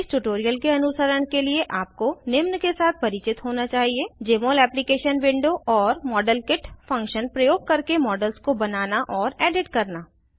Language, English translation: Hindi, To follow this tutorial you should be familiar with Jmol Application Window and know to create and edit models using modelkit function